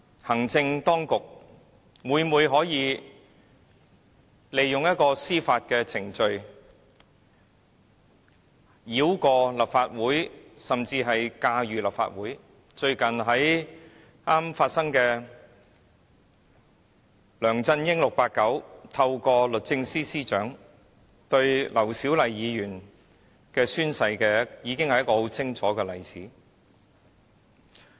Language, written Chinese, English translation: Cantonese, 行政當局今天每每利用司法程序繞過立法會，甚至駕馭立法會，最近 "689" 梁振英透過律政司司長，表示要就劉小麗議員宣誓一事展開訴訟，已是一個非常清楚的例子。, The executive authorities are now trying in every way to bypass or even control the Legislative Council with judicial procedures and a very clear example to illustrate this point is 689 LEUNG Chun - yings recent attempt through the Secretary for Justice to take legal action against the affirmation subscribed by Dr LAU Siu - lai